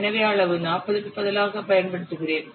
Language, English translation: Tamil, So I will use the in place of size 40